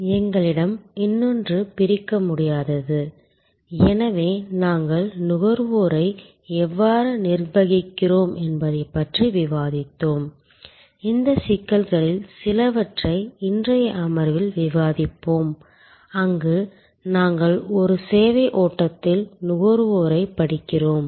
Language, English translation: Tamil, We have the other one inseparability, so we have discuss about how we kind of manage consumers, some of these issues we will discuss in today's session, where we study consumer in a services flow